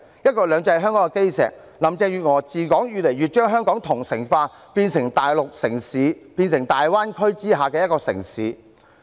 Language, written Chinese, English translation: Cantonese, "一國兩制"是香港的基石，自從林鄭月娥治港以來，越來越將香港同城化，變成大陸城市，變成大灣區之下的一個城市。, Since Carrie LAM took office Hong Kong has been integrating more and more with the Mainland . It has become a Mainland city in the Greater Bay Area